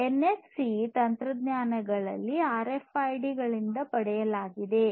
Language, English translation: Kannada, So, this is basically this NFC technology has been derived from the RFIDs